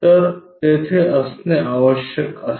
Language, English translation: Marathi, So, must be there